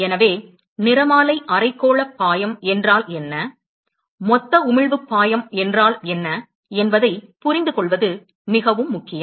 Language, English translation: Tamil, So, it is very important to understand, what is meant by the spectral hemispherical flux, and what is meant by the total emission flux